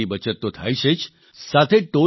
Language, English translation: Gujarati, That is saving money as well as time